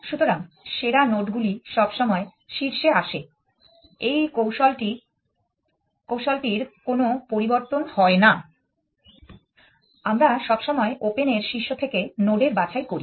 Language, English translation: Bengali, So, the best nodes come to the head of the lets see we always speak node that strategy is does not change we always pick the node from the head of the open